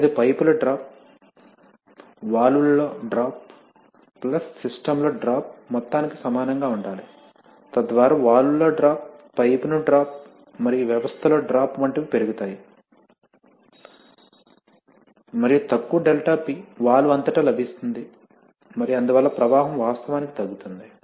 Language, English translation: Telugu, And that must be equal to the sum of the drop in pipes, drop in the valve, plus, drop in the system, so as the drop in the valve, dropping the pipe and the drop in the system raises, there is little, less and less ∆P available across the valve and so the flow actually reduces right